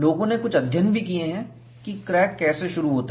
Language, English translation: Hindi, People also have done certain studies, on how does crack initiates